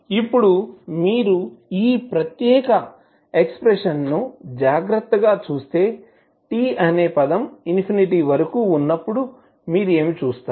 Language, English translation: Telugu, Now if you see carefully this particular expression what you will see when the term t tends to infinity